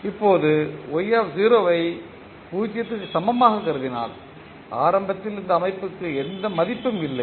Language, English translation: Tamil, Now, if you consider y0 equal to 0 that is initially this system does not have any value